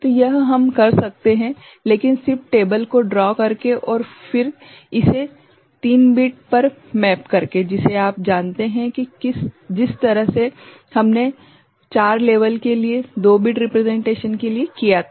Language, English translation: Hindi, So, this we can do, but just by drawing the table and then mapping it to the 3 bit you know, relationship the way we had done for 2 bit representation for 4 level